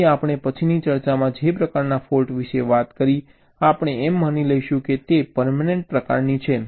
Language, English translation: Gujarati, ok, so the the kind of faults that we talked about in our subsequent ah discussions, we will be assuming that there are permanent in nature